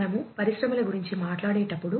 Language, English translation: Telugu, So, when we talk about industries